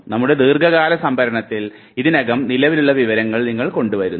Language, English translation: Malayalam, Get the information that already exists in our long term storage